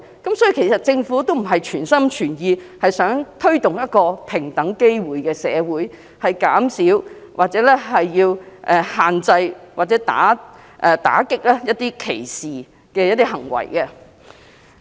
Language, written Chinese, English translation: Cantonese, 因此，政府不是全心全意在社會推動平等機會，以減少、限制或打擊一些歧視行為。, Hence the Government is not wholehearted in promoting equal opportunity with a view to reducing limiting or combating discriminatory acts in society